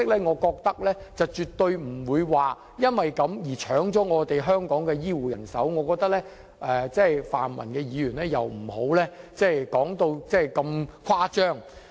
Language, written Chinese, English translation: Cantonese, 我覺得用這樣的方式絕不會搶去香港的醫護人手，請泛民議員不要說得如此誇張。, In my view Hong Kong will not suffer from a loss of health care personnel under this approach and Pan - democratic Members should not exaggerate to that extent